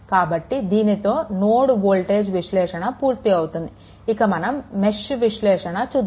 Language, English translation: Telugu, So, with this node voltage analysis is over, next will go for mesh analysis right